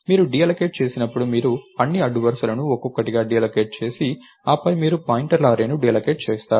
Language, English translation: Telugu, When you deallocate, you deallocate all the rows one at a time and then you deallocate the array of pointers itself